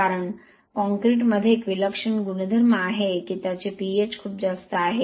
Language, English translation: Marathi, Because concrete has a peculiar property that it has a very high pH